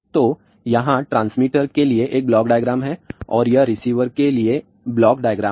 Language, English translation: Hindi, So, here is a block diagram for transmitter and this is the block diagram for receiver